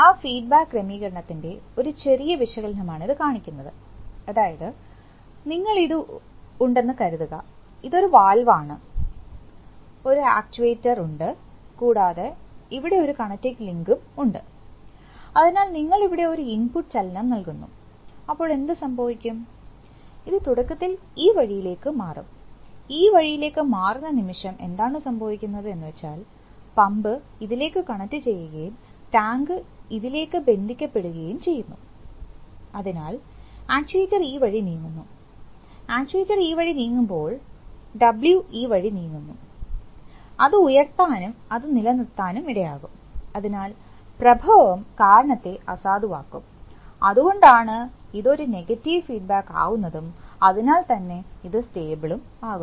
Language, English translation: Malayalam, This shows that this, this shows, this is a slight little analysis of that feedback arrangement, that is, if the, suppose you have, this is, this is a valve and this is an actuator and there is a, there is a connecting link, so you give an input motion here, what will happen, this will initially shift this way, the moment this shift this way what happens is that, the pump connects to this and the tank connects to this, so the actuator moves this way, when the actuator moves this way, the W moves this way and that will tend to keep it, put it up, so it, so the cause that was created, the effect will nullify the cause that is why it is a negative feedback situation and stable